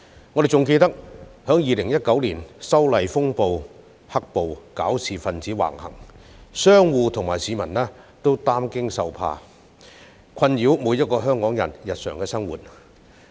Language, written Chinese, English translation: Cantonese, 我們還記得2019年修例風波引發"黑暴"，搞事分子橫行，令商戶和市民惶恐終日，他們的惡行妨礙每一個香港人的日常生活。, We still remember the black - clad violence saga triggered by the controversial legislative amendment exercise back in 2019 during which troublemakers acted outrageously against the law leaving business operators and members of the public in constant fear . Their evil acts hindered the daily life of each and every Hong Kong citizen then